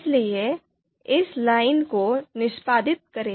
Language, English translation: Hindi, So, let’s execute this line